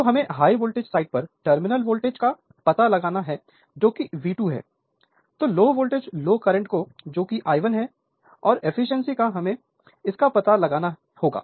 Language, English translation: Hindi, So, we have to find out the terminal voltage on high voltage side that is V 2 then low voltage low current that is I 1 and the efficiency right so, that is the that we have to find it out